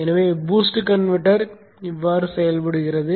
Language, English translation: Tamil, So this is how the boost converter operates